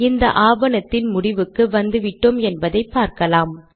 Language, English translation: Tamil, You can see that we have come to the end of this document